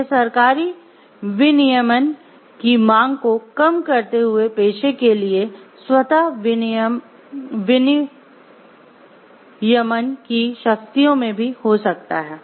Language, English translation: Hindi, It can also be in greater powers of self regulation for the profession itself while lessening the demand for a more government regulation